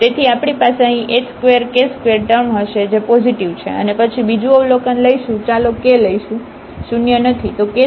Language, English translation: Gujarati, So, we will have here h square r square term, which is positive and then the second observation we will take let us take k is not zero